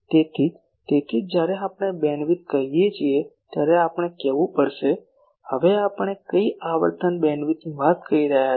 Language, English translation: Gujarati, So, that is why so we will have to say when we are saying bandwidth, now what bandwidth we are talking